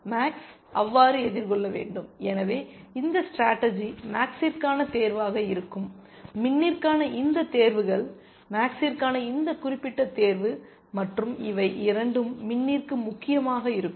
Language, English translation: Tamil, Max has to encounter so, so this strategy would be this choice for max, both these choices for min, this particular choice for max, and both these for min essentially